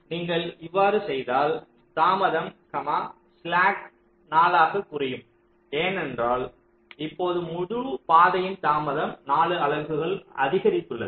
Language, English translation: Tamil, so if you do it, the delay, the slack that was four, that will get decremented by four, because now the entire path delay has increased by four units